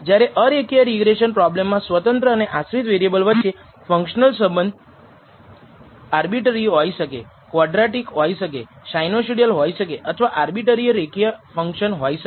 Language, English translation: Gujarati, Whereas in a non linear regression problem the functional relationship be tween the dependent and independent variable can be arbitrary, can be quadratic, can be sinusoidal or can be any arbitrary non linear function